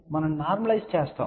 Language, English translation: Telugu, We actually do the normalization